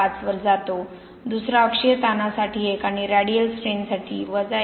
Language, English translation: Marathi, 5, the second one goes to 1 for axial strain and 1